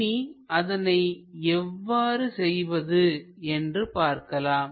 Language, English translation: Tamil, Let us look at how to draw that